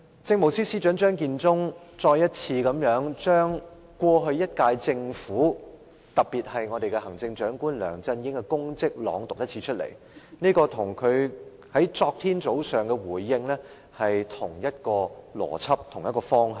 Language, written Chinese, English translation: Cantonese, 政務司司長張建宗剛才再次把這一屆政府，特別是行政長官梁振英的功績再次朗讀，這與他昨天早上的回應是同一邏輯、同一方向。, Chief Secretary for Administration Matthew CHEUNG has once again chanted the merits and accomplishments of the incumbent Government especially that of Chief Executive LEUNG Chun - ying . The logic and direction of this speech is the same as the one delivered yesterday morning